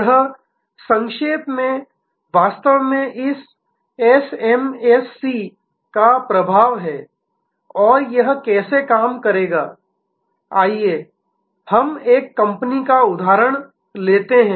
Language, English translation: Hindi, This in short is actually the impact of this SMAC and how it will operate, let us take an example of a company